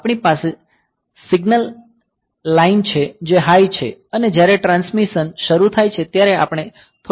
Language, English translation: Gujarati, So, there is we have the signal line is high and that we have got when the transmission starts the first we send a low bit